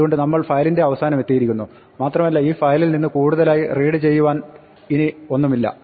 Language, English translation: Malayalam, So, we reached the end of the file and there is nothing further to read in this file